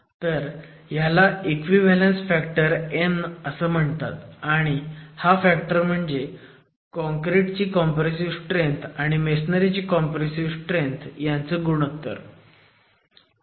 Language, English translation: Marathi, So, this is called an equivalence factor n and this equivalence factor has arrived at as the compressive ratio of compressive strength of concrete to the compressive strength of masonry